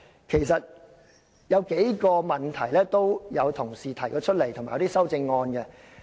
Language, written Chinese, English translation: Cantonese, 其實議員已提出過數個問題，以及提出修正案。, Actually Members have raised several questions and proposed relevant amendments